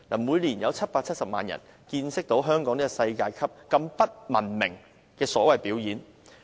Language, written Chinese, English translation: Cantonese, 每年都有770萬人見識到香港這種世界級不文明的所謂表演。, Each year 7.7 million people watch this kind of shows which are uncivilized by world standards